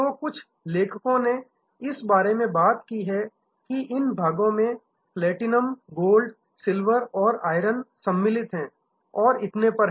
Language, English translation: Hindi, So, some authors have talked about this tiering has platinum, gold, silver, iron and so on